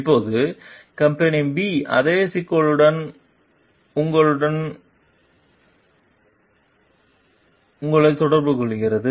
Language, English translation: Tamil, Now, company B contacts you with the same issue